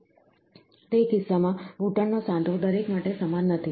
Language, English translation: Gujarati, So, in that case, the knee joint is not constant for everybody